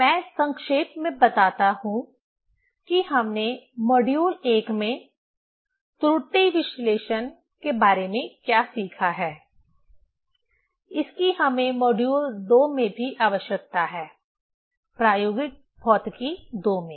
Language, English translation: Hindi, Let me summarize what we have learned about the error analysis in module I; that also we need in module II, in experimental physics II Error analysis: let me start with example, the example 1